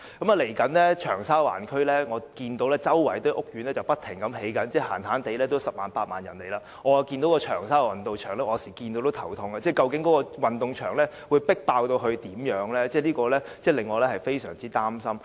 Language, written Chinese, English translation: Cantonese, 未來，長沙灣區——我看到周圍正不停興建屋苑——最少將有十萬八萬人遷入，所以，有時候我看到長沙灣運動場就會感到頭痛，擔心該運動場將會如何擠迫，令我非常擔心。, Looking ahead Cheung Sha Wan district―as I observe housing estates are being built all around―will see at least tens of thousands of people move in . So a look at the sports ground at Cheung Sha Wan will sometimes give me a headache as I worry that the sports ground will become overcrowded . It is really worrying to me